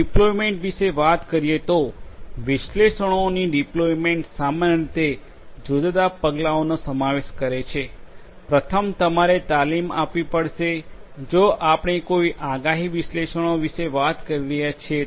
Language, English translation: Gujarati, Talking about the deployment; deployment of analytics typically consists of different steps first you have to train if we are talking about some kind of predictive analytics you have to train a particular model